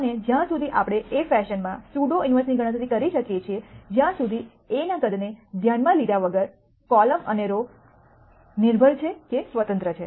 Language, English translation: Gujarati, And as long as we can calculate the pseudo inverse in a fashion that irrespective of the size of A, irrespective of whether the columns and rows are dependent or independent